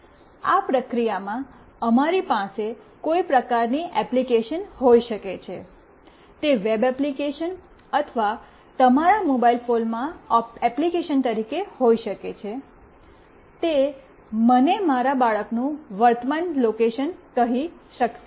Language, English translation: Gujarati, In this process we can have some kind of application maybe it as a web application or an app in your mobile phone, it should able to tell me the current location of my child